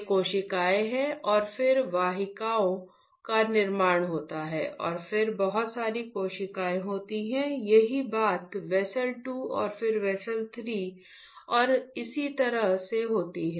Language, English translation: Hindi, These are cell and then formation of vessels and then from vessel there are a lot of capillaries , same thing happens on whether a vessel 2 and then vessel 3 and so on